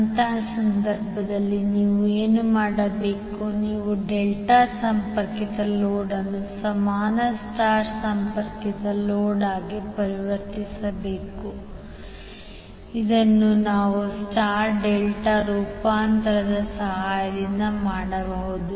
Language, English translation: Kannada, So in that case what you have to do, you have to convert delta connected load into equivalent star connected load which we can do with the help of star delta transformation